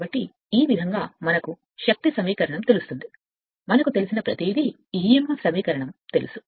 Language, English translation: Telugu, So, this way will we know the force equation, we know the emf equation right everything we know